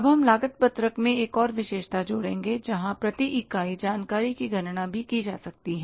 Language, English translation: Hindi, Now we will add one more feature in the cost sheet where per unit information can also be calculated